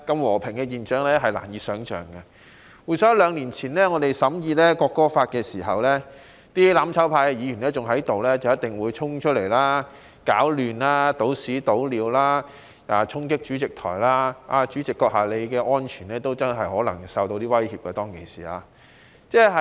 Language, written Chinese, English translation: Cantonese, 我們當時在審議《國歌條例草案》期間，仍身處議會的"攬炒派"議員必定會衝出來搗亂、傾倒穢物、衝擊主席台，代理主席你的人身安全，當時可能真的備受威脅。, During the time when the National Anthem Bill was scrutinized back then Members of the mutual destruction camp were still in this legislature . They frequently disrupted order here by leaving their seats dumping filthy things charging at the President Podium and the personal safety of the Deputy President was perhaps really much threatened then